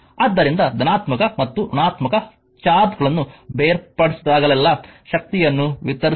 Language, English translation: Kannada, So, actually whenever positive and negative charges are separated energy actually is expanded